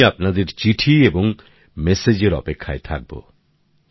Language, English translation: Bengali, I will be waiting for your letter and messages